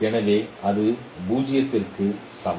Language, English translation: Tamil, So that is equal to 0